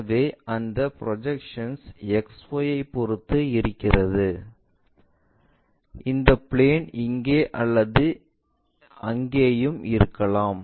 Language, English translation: Tamil, So, that projection what we will see it with respect to XY and this plane can be here it can be there also